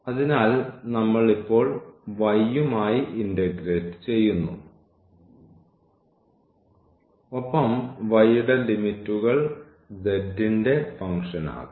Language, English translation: Malayalam, So, we are integrating now with respect to y and the limits of the y can be the function of z can be the function of z